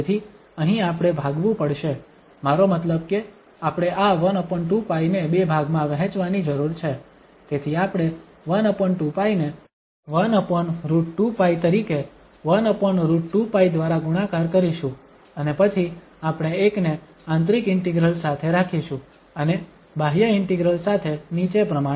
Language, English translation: Gujarati, So here, we have to split, I mean we need to split this 1 over square root, 1 over 2 pi into two, so 1 over 2 pi we will write as 1 over square root 2 pi multiplied by 1 over square root 2 pi and then one we will keep with the inner integral and one with the outer integral as follows